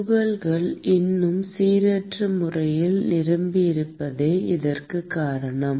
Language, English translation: Tamil, That is because the particles are even more randomly packed